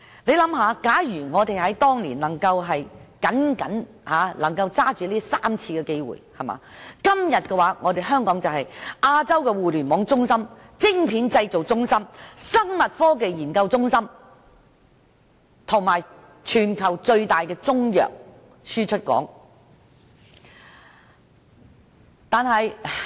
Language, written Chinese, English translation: Cantonese, 試想想，假如我們當年能夠抓緊這3個機會，今天香港已是亞洲互聯網中心、晶片製造中心、生物科技研究中心，以及全球最大的中藥輸出港。, Let us imagine had we seized those three opportunities then Hong Kong would have become the Internet centre the silicon chip manufacturing centre and biotechnology research centre of Asia and the biggest exporter of Chinese medicine in the world